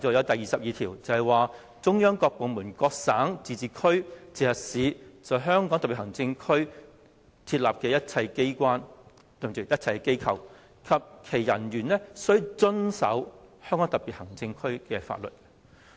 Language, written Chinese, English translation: Cantonese, 第二十二條亦訂明，"中央各部門、各省、自治區、直轄市在香港特別行政區設立的一切機構及其人員均須遵守香港特別行政區的法律。, Article 22 also provides that All offices set up in the Hong Kong Special Administrative Region by departments of the Central Government or by provinces autonomous regions or municipalities directly under the Central Government and the personnel of these offices shall abide by the laws of the Region